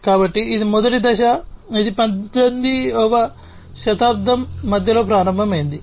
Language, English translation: Telugu, So, that was the first stage and that started in the middle of the 18th century